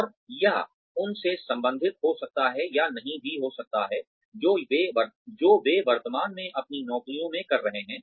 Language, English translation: Hindi, And, it may or may not be related to, what they are currently doing in their jobs